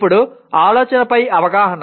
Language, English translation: Telugu, Now awareness of thinking